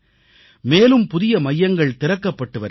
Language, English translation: Tamil, More such centres are being opened